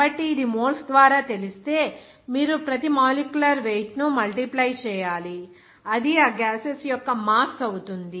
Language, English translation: Telugu, So, that if it is known by moles, then you have to multiply each molecular weight, then it would become mass of those gases